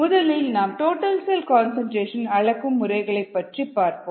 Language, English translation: Tamil, let us first look at the methods to measure total cell concentration